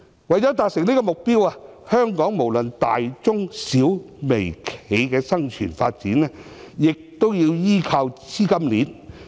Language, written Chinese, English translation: Cantonese, 為了達成這個目標，香港無論大、中、小、微企業的生存發展，都要依靠資金鏈。, To achieve this objective all enterprises be they large medium small or micro in scale need capital chains for survival and development